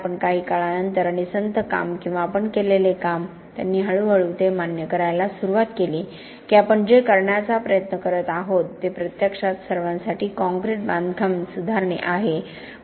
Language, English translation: Marathi, But after a while and with slow work done or the work done that we did, they slowly began to accept that what we were trying to do is actually improve concrete construction for everybody